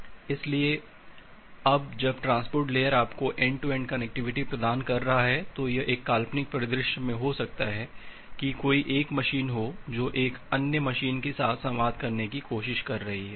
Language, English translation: Hindi, So now when the transport layer is providing you the end to end connectivity, it may happen in a hypothetical scenario that there are say one single machine which is trying to communicate with another machine